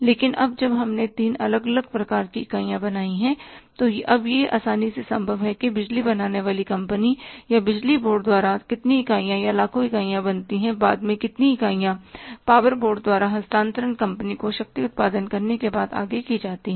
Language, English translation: Hindi, But now when we have created the three different type of entities, then it is now it is easily possible that how many units or millions of units of the power is generated by the generating company or by the power board and how many millions of the units after generating power are passed on by the power board to the transmission company